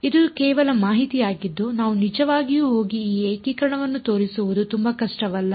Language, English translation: Kannada, This is just information we can we can actually go and show this integration its not very difficult ok